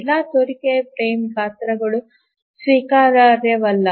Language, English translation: Kannada, All plausible frame sizes may not be acceptable